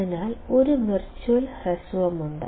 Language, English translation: Malayalam, So, there is a virtual short